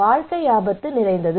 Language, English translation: Tamil, Life is full of risk